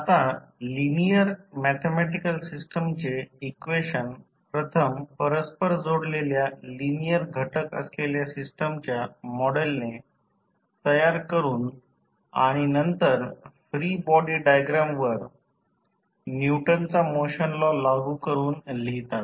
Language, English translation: Marathi, Now, the equations of linear mathematical system are written by first constructing model of the system containing interconnected linear elements and then by applying the Newton’s law of motion to the free body diagram